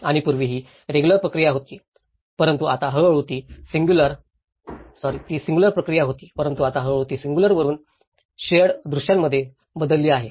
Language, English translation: Marathi, And earlier, it was very singular process but now it has gradually changed from a singular to the shared visions